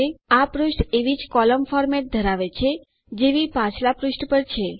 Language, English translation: Gujarati, This page contains the same column format as on the previous page